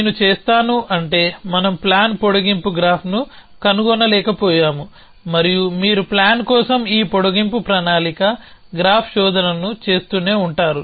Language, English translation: Telugu, So, I will just, else meaning we are not found the plan extend panning graph and you keep doing this extend planning graph search for a plan, extend the planning graph, search for a plan